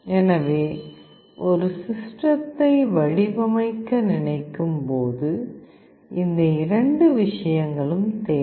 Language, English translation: Tamil, So, when we think of designing a system these two things are required